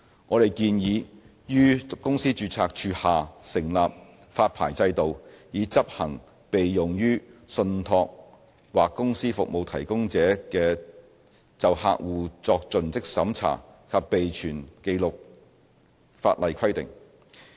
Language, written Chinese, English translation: Cantonese, 我們建議於公司註冊處下成立發牌制度，以執行適用於信託或公司服務提供者就客戶作盡職審查及備存紀錄的法例規定。, We propose introducing a licensing regime under the Companies Registry to enforce the codified customer due diligence and record - keeping requirements applicable to trust or company service providers